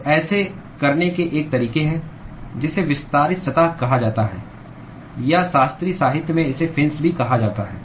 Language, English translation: Hindi, So, one way to do that is what is called the extended surfaces or in classical literature it is also called as fins